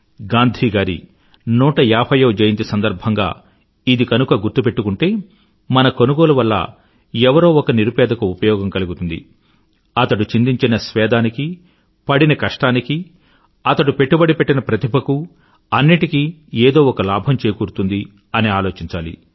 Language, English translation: Telugu, Keeping this mantra of Gandhiji in mind while making any purchases during the 150th Anniversary of Gandhiji, we must make it a point to see that our purchase must benefit one of our countrymen and in that too, one who has put in physical labour, who has invested money, who has applied skill must get some benefit